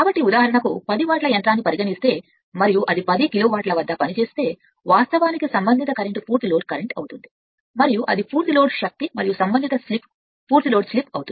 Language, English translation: Telugu, So, if you if r you say 10 watt machine for example, and if it operates at 10 kilowatt that is actually your call and corresponding current will be full load current, and that is the full load power and corresponding slip will be your full load slip